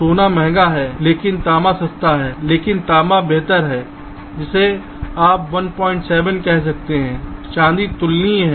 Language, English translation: Hindi, gold is expensive but copper is cheaper but copper has a better, you can say one point seven, silver is comparable